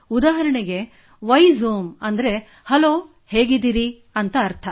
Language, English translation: Kannada, Such as 'Vaizomi' means 'Hello,' how are you